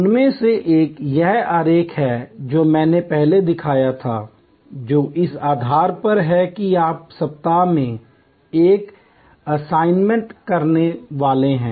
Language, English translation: Hindi, One of them is this diagram that I had shown before, which is on the basis of which you are supposed to do an assignment in week one